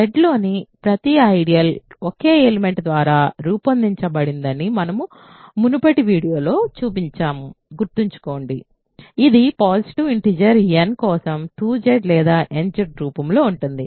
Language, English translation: Telugu, Remember we have shown in an earlier video that every ideal in Z is generated by a single element it is of the form 2Z or nZ for a positive integer n